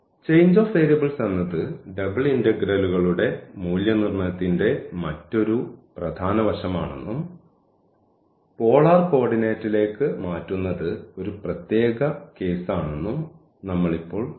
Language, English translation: Malayalam, So, what we have seen now this that this change of variables is another important aspect of evaluation of double integrals and changing to polar coordinate was a particular case